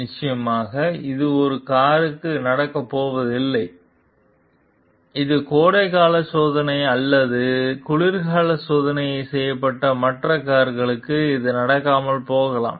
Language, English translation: Tamil, Definitely this is not going to happen to a car, which is a summer tested or it may not happen to other cars also which are winter tested